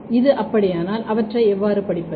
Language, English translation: Tamil, If this is so, how to study them